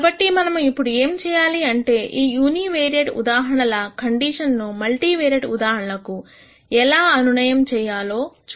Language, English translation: Telugu, Now, what we need to do is we need to see how these conditions in the uni variate case translate to the multivariate case